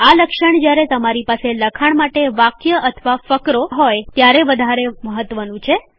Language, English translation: Gujarati, This feature is more obvious when you have a line or paragraph of text